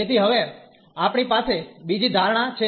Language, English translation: Gujarati, So, now we will make another assumption